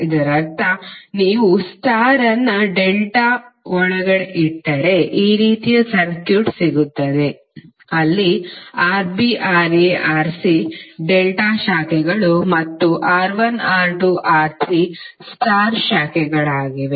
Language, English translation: Kannada, It means that if you put the star inside the delta you will get this kind of circuit where Rb, Ra, Rc are the branches of delta and R1, R2, R3 are the branches of star